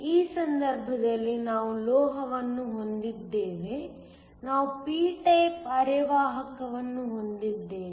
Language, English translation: Kannada, In this case we have a metal, we have p type semiconductor